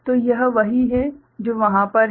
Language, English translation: Hindi, So, this is what is over there